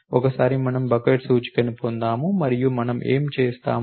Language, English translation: Telugu, Once we get the bucket index and what we do